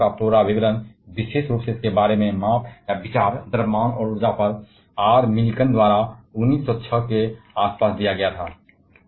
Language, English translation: Hindi, And the complete description of electron, particular the measurement or idea about it is mass and energy was given by R Millikan in around 1906